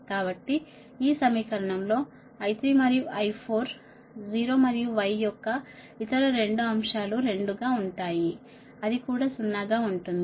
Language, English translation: Telugu, so in this equation, in this equation i three, i four will be zero and other two elements of why i told you that also will be zero, right